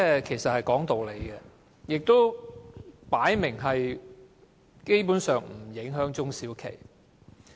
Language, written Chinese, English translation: Cantonese, 這是講理，而且分明不會影響中小企。, The amendments are reasonable and obviously they will not affect SMEs